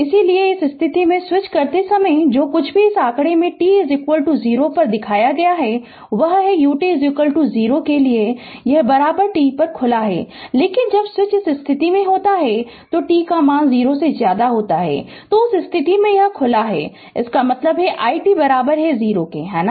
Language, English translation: Hindi, So, when switch in this position whatever shown in this figure at t is equal to your what you call it is switch is open at t equal to 0, but when switch is in this position that is t less than 0, in that case this is open; that means, your i t is equal to 0, right